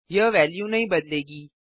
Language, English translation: Hindi, The value wont change